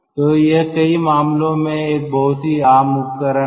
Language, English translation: Hindi, so this is a very common device